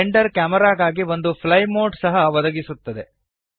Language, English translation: Kannada, Blender also provides a fly mode for the camera